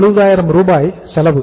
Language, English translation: Tamil, 270,000 is the cost